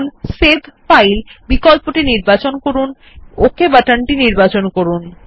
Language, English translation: Bengali, Now you can select the Save File option and click on the Ok button appearing in the popup window